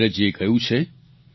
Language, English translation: Gujarati, Neeraj ji has said